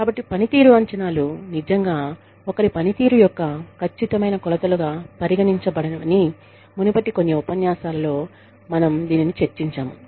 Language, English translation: Telugu, So, we have discussed this, in some of the previous lectures, that performance appraisals are not really considered, as very accurate measures, of somebody's performance